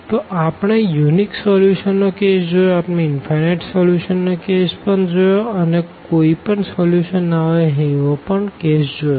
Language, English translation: Gujarati, So, we have seen the case of the unique solution, we have seen the case of the infinitely many solutions and we have seen the case of no solution